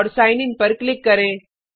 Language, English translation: Hindi, And click on Sign In